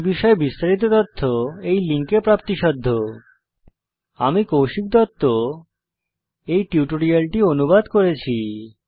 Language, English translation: Bengali, More information on this Mission is available at the following link spoken HYPHEN tutorial DOT org SLASH NMEICT HYPHEN Intro This tutorial has been contributed by TalentSprint